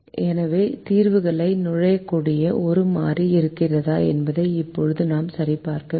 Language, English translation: Tamil, so we know how to check whether there is a variable that can enter the solution